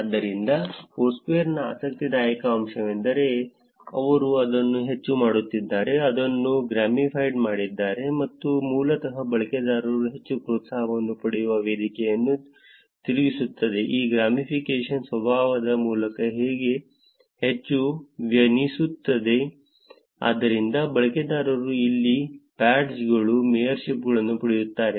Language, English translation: Kannada, So, the interesting aspect of Foursquare is that they have made it more gamified it which is basically turning the platform where users actually get more incentive, more addicted through this gamification nature, which is, user get badges, mayorships here